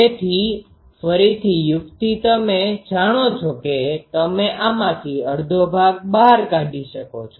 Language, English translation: Gujarati, So, again the trick is you know you take half of these out